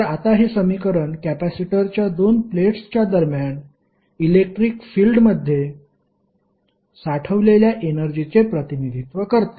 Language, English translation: Marathi, So, now this equation represents energy stored in the electric field that exists between the 2 plates of the capacitor